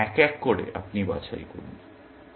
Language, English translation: Bengali, Then, one by one, you pick